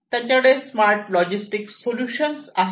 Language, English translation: Marathi, So, they have the smart logistics solutions